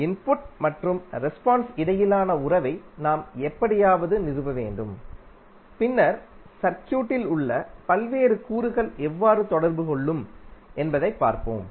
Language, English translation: Tamil, So, we have to somehow to establish the relationship between input and response and then we will see how the various elements in the circuit will interact